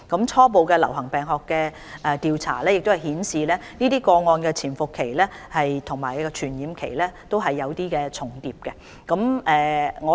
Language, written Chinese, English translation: Cantonese, 初步的流行病學的調查亦顯示這些個案的潛伏期和傳染期也有些重疊。, Initial epidemiological investigations also reveal an overlap between the incubation period and the infectious period in these cases